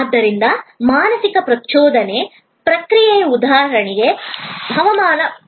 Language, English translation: Kannada, So, mental stimulus processing is for example, weather forecast